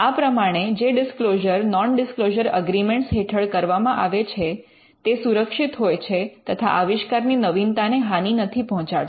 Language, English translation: Gujarati, So, all disclosures that come through a non disclosure agreement are protected and it does not affect the novelty of an invention